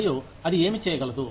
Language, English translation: Telugu, And, what it could do